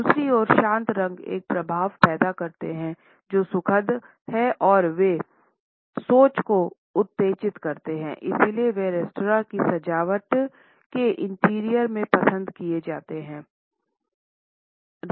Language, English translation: Hindi, On the other hand, cool colors produce an effect which is soothing and they stimulate thinking and therefore, they are preferred in the interior decoration of restaurants